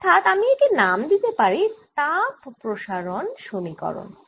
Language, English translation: Bengali, ok, so this is the i can call heat diffusion equation